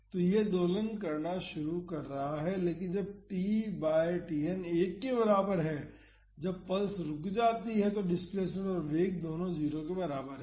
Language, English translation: Hindi, So, this is starting to oscillate, but when t by Tn is equal to 1 that is when the pulse stops the displacement and the velocity both are equal to 0